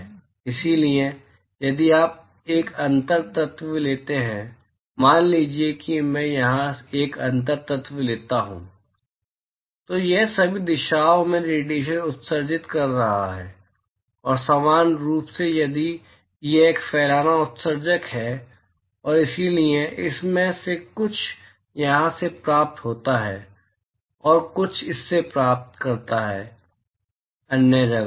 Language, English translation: Hindi, So, if you take a differential element, supposing I take a differential element here, it is emitting radiation in all directions and equally if it is a diffuse emitter and so, some of it is received by here and some of it is received by some other place